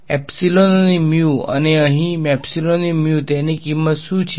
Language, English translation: Gujarati, Epsilon and mu and what are the value of epsilon and mu here